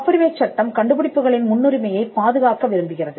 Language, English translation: Tamil, Patent law wants to safeguard priority of inventions